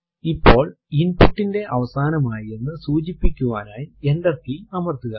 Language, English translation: Malayalam, Now press enter key to indicate the end of input